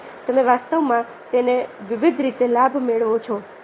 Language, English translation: Gujarati, so you actually benefit from it in various ways and their